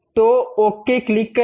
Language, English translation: Hindi, So, then click ok